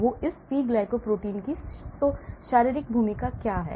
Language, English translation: Hindi, so what is the physiologic role of this P glycoprotein